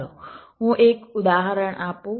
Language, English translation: Gujarati, let let me give an example